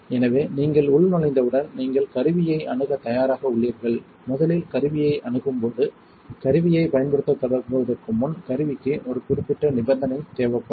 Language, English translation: Tamil, So, once you have logged in you are now ready to approach the tool, when you first approach the tool there is a certain condition the tool needs to be in before you start using it